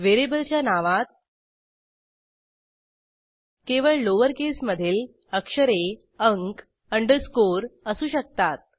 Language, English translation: Marathi, Variable name may only contain lowercase letters, numbers, underscores